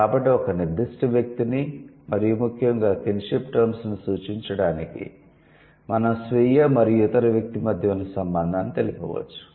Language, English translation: Telugu, So, to refer a particular person and especially the kin terms, they specify the relation between the self and the other individual